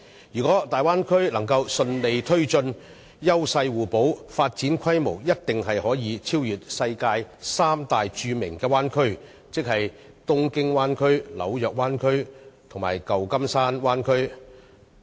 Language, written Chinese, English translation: Cantonese, 如果大灣區能順利推進，優勢互補，發展規模定必可超越世界三大著名灣區，即東京灣區、紐約灣區和舊金山灣區。, If the plan for the Bay Area can be successfully pushed forward based on complementary partnership its scale of development will definitely surpass that of the three major bay areas in the world that is the Tokyo Bay Area the New York Bay Area and the San Francisco Bay Area